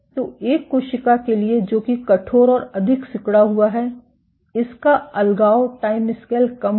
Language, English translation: Hindi, So, for a cell which is stiffer and more contractile its deadhesion timescale will be lower